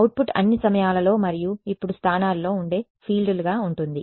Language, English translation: Telugu, Output will be fields that all times and in positions now what